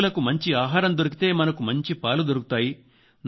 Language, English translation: Telugu, If our animals get good feed, then we will get good milk